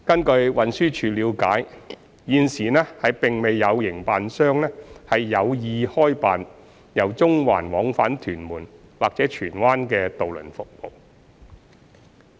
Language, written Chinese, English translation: Cantonese, 據運輸署了解，現時並未有營辦商有意開辦由中環往返屯門或荃灣的渡輪服務。, The Transport Department TD understands that at present no operator plans to operate any ferry routes plying between Central and Tuen Mun or Tsuen Wan